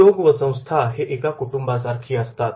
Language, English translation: Marathi, Industry and organization is like a family